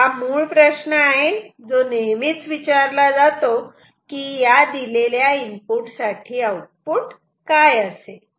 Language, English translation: Marathi, This is the basic question we always ask given the inputs what will be the output ok